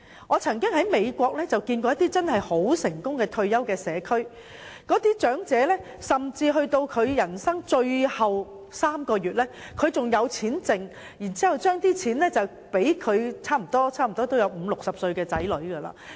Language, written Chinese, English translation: Cantonese, 我曾在美國看到一些很成功的退休社區，當地長者甚至到了人生的最後3個月仍有餘錢，可以留贈已年屆半百甚至花甲的子女。, I have seen some very successful community areas for retirees in the United States and elderly persons living there can even manage to have some savings left in the last three months of their life so that they can bequeath the money to their children who have already reached the age of 50 and even 60